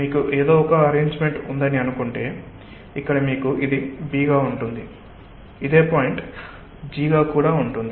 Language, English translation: Telugu, say: you have somehow an arrangement where you have say this as b, this as the same point is g